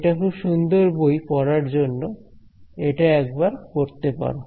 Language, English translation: Bengali, It is a very nice readable book, please have a read through it